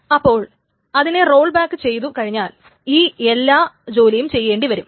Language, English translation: Malayalam, Now if that is rolled back, then all that work needs to be done